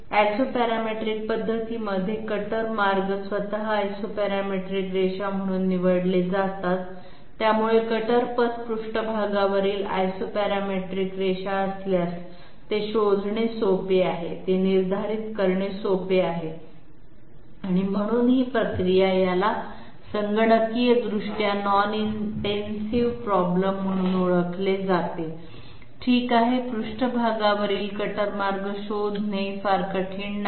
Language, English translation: Marathi, The Isoparametric method has the cutter paths chosen as the Isoparametric lines themselves, so if the cutter paths are Isoparametric lines on the surface, they are easy to find out they are easy to determine and therefore this process is called known as Computationally non intensive problem okay, it is not very difficult to find out the cutter paths on the surface